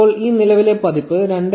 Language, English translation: Malayalam, Now with the version 2